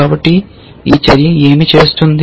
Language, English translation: Telugu, So, what this action does